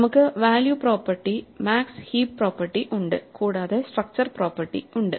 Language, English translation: Malayalam, So, we have the value property the max heap property along with the structural property